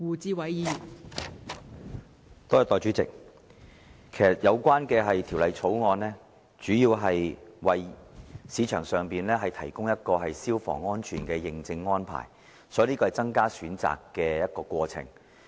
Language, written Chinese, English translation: Cantonese, 代理主席，《2016年消防條例草案》其實主要為市場提供消防安全的認證安排，所以，這是增加選擇的過程。, Deputy President the Fire Services Amendment Bill 2016 the Bill mainly seeks to provide fire safety certification services in the private market . Therefore it is about offering an additional option